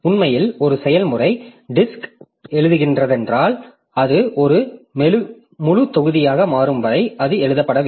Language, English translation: Tamil, So actually if a process is writing onto the disk, so until and unless it becomes a full block, so it is not written